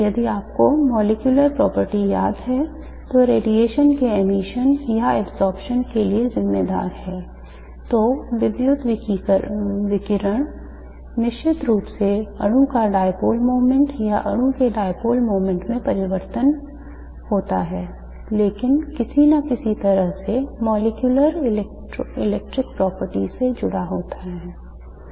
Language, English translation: Hindi, If you remember the molecular property that is responsible for emission or absorption of radiation, electrical radiation, is of course the dipole moment of the molecule or the change in the dipole moment of the molecule but in some way or the other connected to the molecular electric properties